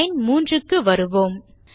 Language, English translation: Tamil, So lets come to line 3